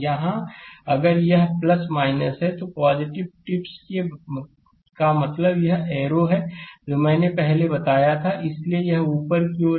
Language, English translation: Hindi, Here if it is plus minus, so plus tip means this arrow one earlier I told you, so it is upward